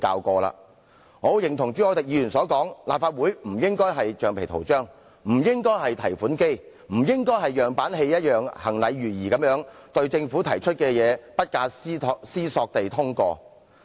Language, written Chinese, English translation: Cantonese, 我十分認同朱凱廸議員的看法，立法會不應被視為橡皮圖章或提款機，也不應像演樣板戲一樣，行禮如儀或不假思索地通過政府提出的政策。, I very much agree with Mr CHU Hoi - dicks views that the Legislative Council should not be considered a rubber stamp or an automatic teller machine nor should it approve policies proposed by the Government without careful deliberations like a ritual or a predetermined plot in a model play